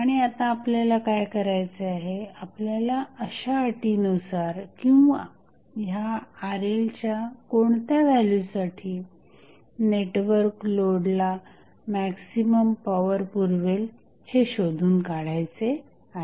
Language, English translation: Marathi, And now, what we have to do we have to find out under which condition or what would be the value of this Rl at which the maximum power would be delivered by the network to the load